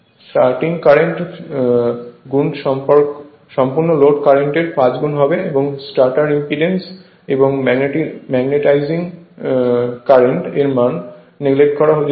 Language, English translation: Bengali, The starting current is five times the full load current the stator impedance and magnetizing current may be neglected